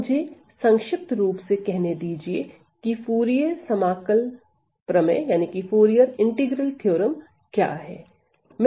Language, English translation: Hindi, So, let me just briefly state what is the Fourier integral theorem